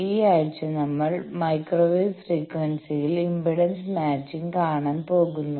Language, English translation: Malayalam, Now this week we are going to see impedance matching at microwave frequency